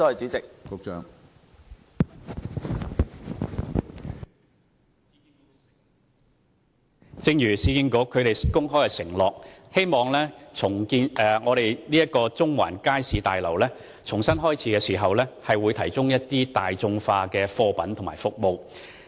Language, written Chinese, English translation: Cantonese, 正如市建局公開承諾，政府希望中環街市大樓重新啟用後，會提供大眾化的貨品和服務。, Like the public pledge made by URA the Government also hope that the Central Market Building after it reopens will provide affordable goods and services